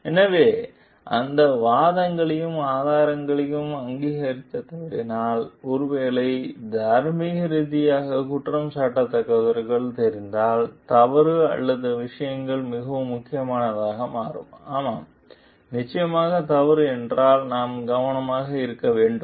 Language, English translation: Tamil, So, if failure to recognize those arguments and evidence; so, that is where maybe the morally blameworthy know, things becomes more important which is not the mistake; yes, definitely mistake we have to be careful